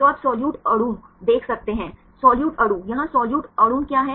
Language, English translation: Hindi, So, you can see the solute molecule; solute molecule what is solute molecule here